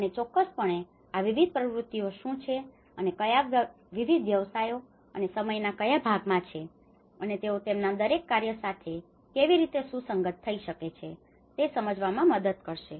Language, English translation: Gujarati, And that will definitely help us to understand what are the various activities and which segments of time and what are the various professions, how they can correlate with each of their work